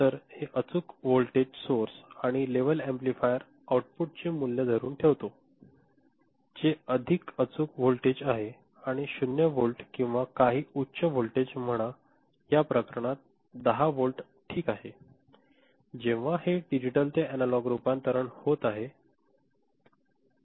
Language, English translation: Marathi, So, this precision voltage source and level amplifier holds a value at it is output, which is a very precise voltage of say 0 volt or some higher voltage in this case say 10 volt ok, when this digital to analog conversion is happening